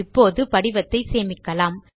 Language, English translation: Tamil, Let us now save the form